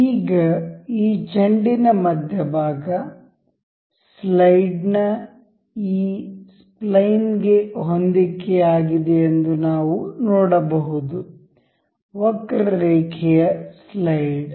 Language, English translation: Kannada, Now, we can see that the center of this ball is aligned to this spline of the slide; curved slide